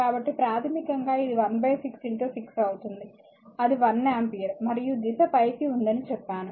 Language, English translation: Telugu, So, basically this one will be 1 upon 6 into 6 that is your 1 ampere right and I told you the direction is a upward